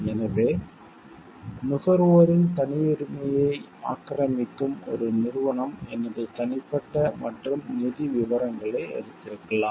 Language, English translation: Tamil, So, which encroaches upon the privacy of the consumers, like one company may have taken my personal and financial details